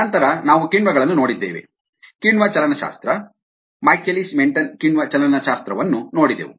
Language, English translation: Kannada, we looked at ah enzyme kinetics, the michaelis menten enzyme kinetics